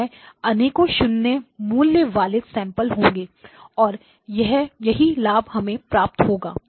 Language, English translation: Hindi, So basically there are lot of 0 valued samples and that is where we get the advantage